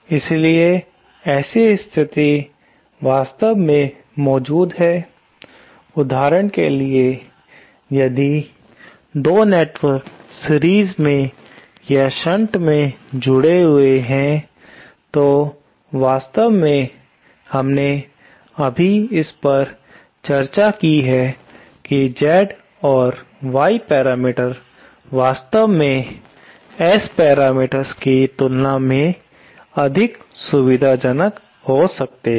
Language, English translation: Hindi, So, such a situation actually exists, for example, if 2 networks are connected in series or in shunt, then actually, we just discussed it that Z and Y parameters might actually be more convenient than S parameters